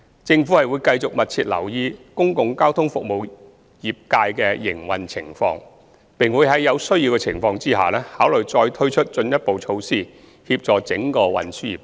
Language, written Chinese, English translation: Cantonese, 政府會繼續密切留意公共交通服務業界的營運情況，並在有需要的情況下，考慮再推出進一步措施協助整個運輸業界。, The Government will continue to closely monitor the operating environment of the public transport service sector and will consider introducing further measures to help the whole transport sector if necessary